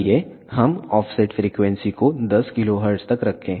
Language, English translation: Hindi, Let us keep the offset frequency to 10 kilohertz